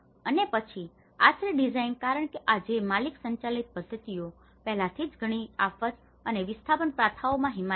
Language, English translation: Gujarati, And then shelter design, because this is where the owner driven practices are already advocated in many disaster and displacement practices